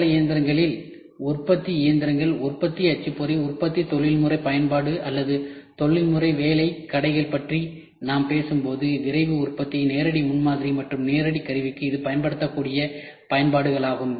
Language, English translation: Tamil, When we talk about shop floor machines, the production machines, production printer, the professional use in production or professional job shops these are the applications it can be used for Rapid Manufacturing, direct prototyping and direct tooling